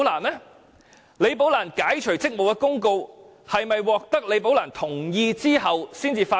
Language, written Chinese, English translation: Cantonese, 解除李寶蘭職務的公告是否在獲得其同意後才發出？, Was the public announcement about Rebecca LIs removal from office issued after her consent had been obtained?